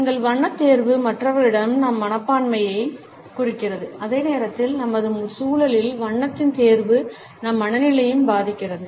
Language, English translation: Tamil, Our choice of color suggests our attitudes to other people and at the same time the choice of color in our surroundings influences our moods also